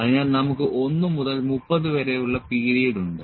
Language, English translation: Malayalam, So, we have the period from 1 to 30